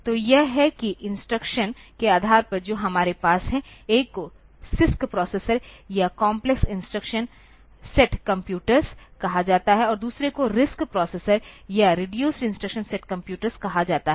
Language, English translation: Hindi, So, that on the basis of the instructions set that we have; one is called the CISC processor or complex instruction set computers and another is called the RISC processor or reduced instruction set computers